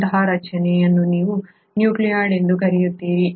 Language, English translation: Kannada, Such a structure is what you call as the nucleoid